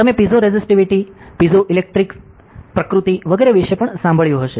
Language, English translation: Gujarati, So, you must have also heard about piezoresistivity, piezoelectric nature and so on